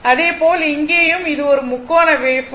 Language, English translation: Tamil, Similarly, here also it is a it is a triangular wave form